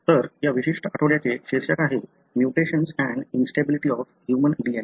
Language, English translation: Marathi, So, that’s the title of this particular week that is“mutation and instability of human DNA”